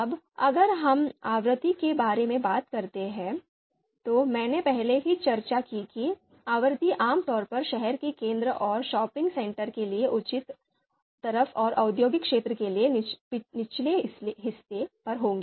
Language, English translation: Hindi, If we talk about frequency, as I said frequency typically would be more on the higher side for city center and shopping center and on the lower side for industrial area